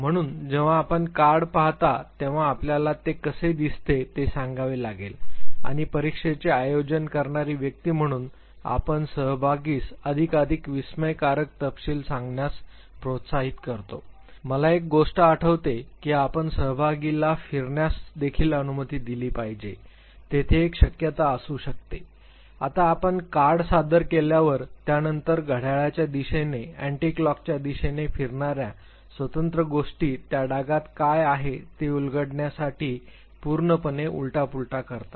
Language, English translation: Marathi, So, when you look at the card you have to say what it looks like and as the person who administers the test you encourage the participant to narrate more and more exhaustive details I remember one thing that you also have to allow the participant to rotate the card there could be a possibility, now that you present the card then the individual things rotating it clockwise anticlockwise that completely upside down to decipher what is there in the blot